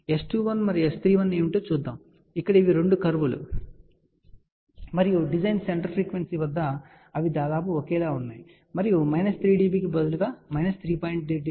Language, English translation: Telugu, You can see here these are the two curves and you can see that at the design center frequency they are approximately same and instead of minus 3 dB these are about close to minus 3